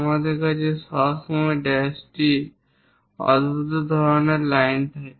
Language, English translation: Bengali, Whenever hole is there, we always have this dash the odd kind of lines